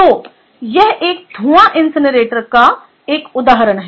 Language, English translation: Hindi, ok, so this is an example of a fume fume incinerator